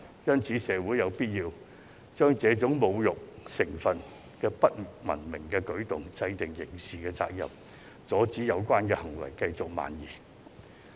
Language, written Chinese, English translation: Cantonese, 因此，社會有必要針對這種具侮辱成分的不文明舉動制定法例，列明刑事責任，阻止有關行為繼續蔓延。, Therefore it is necessary for society to enact laws and criminalize such uncivilized insulting behaviour so as to stop such behaviour from spreading